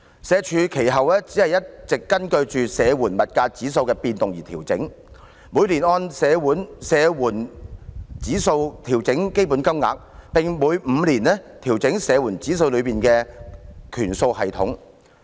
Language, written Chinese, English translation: Cantonese, 社署其後一直根據社會保障援助物價指數的變動而調整，每年按社援物價指數調整標準金額，並每5年調整社援物價指數內的權數系統。, After that SWD makes adjustments to the standard rate payments according to the movement of the Social Security Assistance Index of Prices SSAIP every year and to the weighting system of SSAIP every five years